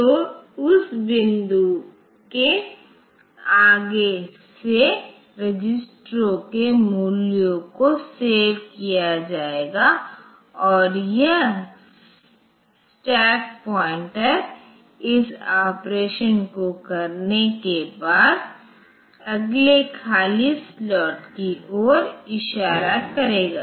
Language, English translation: Hindi, So, from that point onwards the values of the registers will be saved and this stack pointer will be pointing to the next empty slot after doing this operation